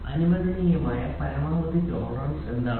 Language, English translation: Malayalam, So, what is the maximum permissible tolerance